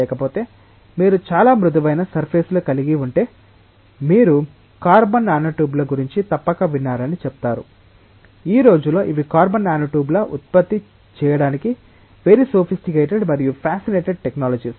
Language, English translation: Telugu, Otherwise, if you have very smooth surfaces say you must have heard about carbon nanotubes, these days those are very sophisticated and fascinated technologies to produce carbon nanotubes